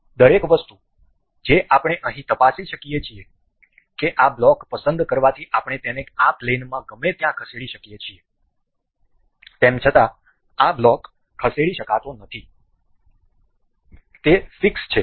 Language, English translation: Gujarati, One thing we can check here that selecting this block allows us to move this anywhere in the plane; however, this block cannot be moved and it is fixed